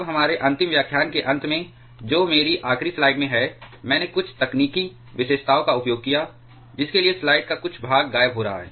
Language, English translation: Hindi, Now, towards the end of our last lecture that is in my last slide I used some technical features for which some part of the slides going to missing